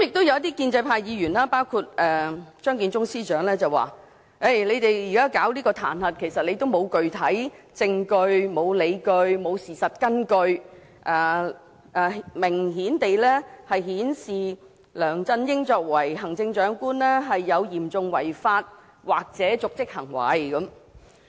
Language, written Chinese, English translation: Cantonese, 一些建制派議員及張建宗司長說，我們現在啟動彈劾程序，其實沒有具體證據、理據或事實根據，明顯地顯示梁振英作為行政長官有嚴重違法或瀆職行為。, Some pro - establishment Members and Chief Secretary Matthew CHEUNG said that although we had initiated the impeachment procedure there was no specific evidence justification or supporting facts which clearly showed that LEUNG Chun - ying had committed serious breaches of law or dereliction of duty as the Chief Executive